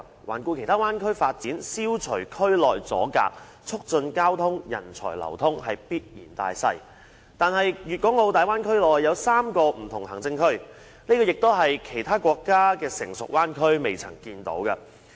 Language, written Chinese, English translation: Cantonese, 環顧其他灣區發展，消除區內阻隔、促進交通、人才流通是必然大勢，但是大灣區內有3個不同的行政區，這也是其他國家的成熟灣區所不曾出現的。, If we look around at the development of other bay areas we can see that it is an inevitable trend to eliminate barriers and promote the flow of traffic and people in such areas . However there will be three different administrative regions in the Bay Area and this is an unprecedented arrangement in developed bay areas of other countries